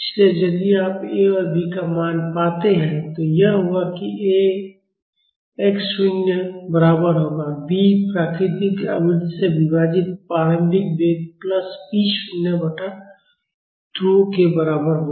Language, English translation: Hindi, So, if you find the value of A and B, it will be A will be equal to x naught and B will be equal to initial velocity divided by natural frequency plus p naught by 2 k